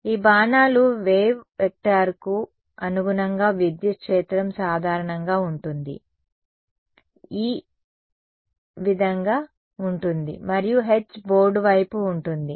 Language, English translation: Telugu, These arrows correspond to the wave vector which way will the electric field be in general, E will be like this right and H will be into the board right